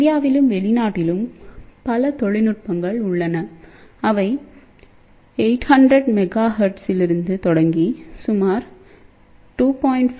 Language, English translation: Tamil, Now there are several technologies are there in India and abroad which starts from 800 megahertz goes up to about 2